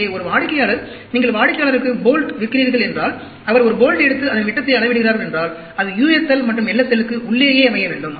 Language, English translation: Tamil, So, if a customer, if you are selling bolts to the customer, he picks up 1 bolt and measures its diameter, it should fall within the u s l and l s l; whereas, you use this for controlling the averages